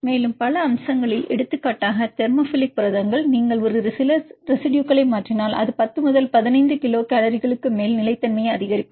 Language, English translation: Tamil, Also in several other aspects for example, thermophilic proteins if you mutate a few residues that will enhances stability more than 10 to 15 kilocalories